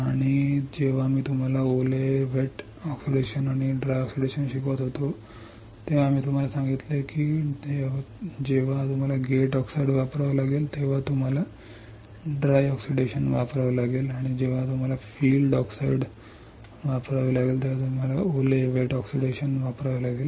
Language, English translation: Marathi, And when I was teaching you wet oxidation and dry oxidation, I told you that when you have to use gate oxide you have to use dry oxidation and when you have to use field oxide you have to use wet oxidation